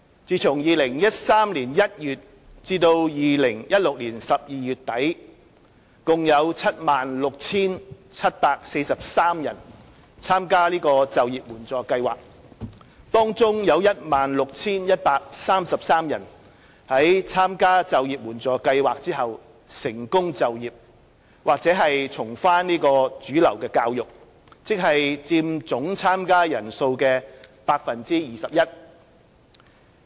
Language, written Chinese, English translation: Cantonese, 自2013年1月至2016年12月底，共有 76,743 人參加就業援助計劃，當中 16,133 人在參加就業援助計劃後成功就業或重返主流教育，即佔總參加人數的 21%。, From January 2013 to end - December 2016 IEAPS had a total of 76 743 participants among whom 16 133 or 21 % had successfully secured employment or returned to mainstream schooling after participating in the IEAPS